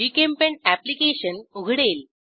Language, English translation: Marathi, GChemPaint application opens